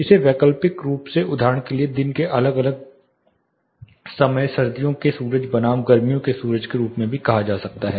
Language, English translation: Hindi, It can also be optically treated say for example, different times of the day winter sun versus summer sun